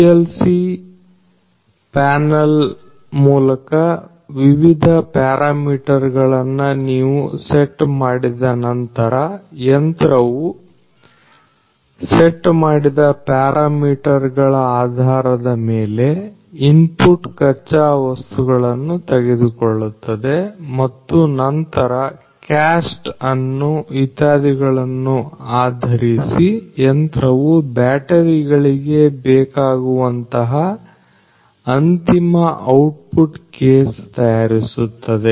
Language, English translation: Kannada, And this machine you know after you have set up all these different parameters through this PLC panel, based on the parameters that are set the machine basically takes those input raw materials and then based on the shape the cast and so on this machine basically prepares the final output the case that is required for the batteries